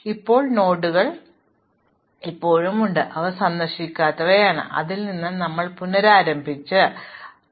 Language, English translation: Malayalam, Now, if there are still nodes which are unvisited, we restart from one of those and go on